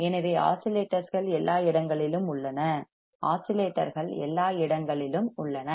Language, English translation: Tamil, So, there are the oscillations are everywhere all right, the oscillations are everywhere